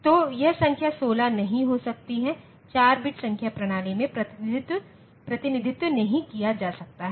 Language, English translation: Hindi, So, it cannot be the number 16 cannot be represented in a 4 bit number system